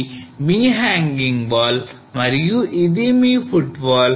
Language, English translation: Telugu, So this is your hanging wall and this is your footwall